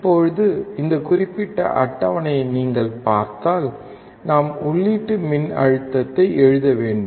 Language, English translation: Tamil, Now, if you see this particular table we have to write input voltage